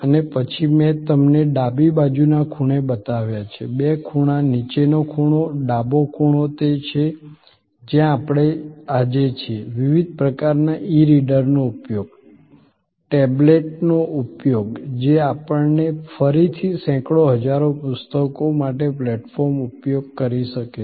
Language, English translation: Gujarati, And then, I have shown you on the left side corner, the two corners bottom corners, the left corner is where we are today, the use of different kinds of e readers, tablets which can be use us a platform for again hundreds, thousands of books